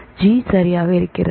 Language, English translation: Tamil, It is g right